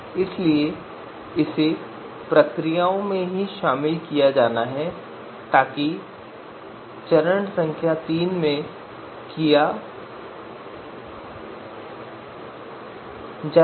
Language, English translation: Hindi, So that is to be incorporated in the procedure itself so that is done in you know step number three